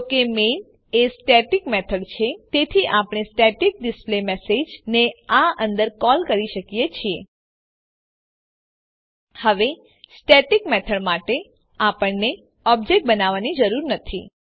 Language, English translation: Gujarati, Since Main is a static method, we can call the static displayMessage inside this Now for static method we do not need to create an object